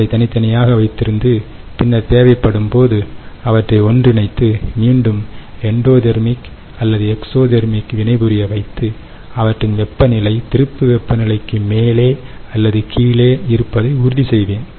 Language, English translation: Tamil, and then later, when i need them to react and and give me the endothermic or exothermic reaction, i will again bring them together, ok, and and ensure that the temperature is above or below the turning temperature clear